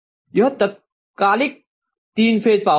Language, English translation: Hindi, This is the instantaneous three phase power, right